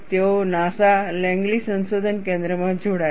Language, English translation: Gujarati, Then, he carried on; he joined NASA Langley research center